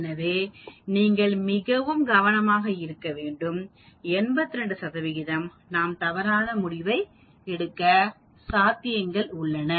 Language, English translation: Tamil, So you have to be very very careful on that, 82 percent of the time we will miss out we will come to a wrong conclusion